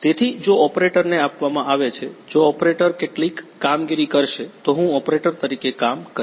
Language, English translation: Gujarati, So, if given to the operator if operator will perform some operation I will be acting as an operator